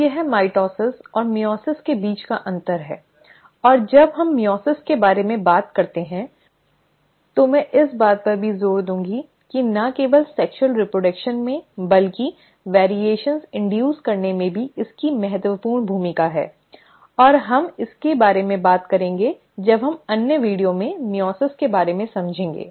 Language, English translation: Hindi, So this is the difference between mitosis and meiosis and when we talk about meiosis, I will also emphasize that it has a very crucial role to play, not only in sexual reproduction, but in inducing variations; and we will come to it when we talk about meiosis in another video